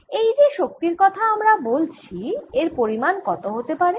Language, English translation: Bengali, this is a kind of energy we are talking about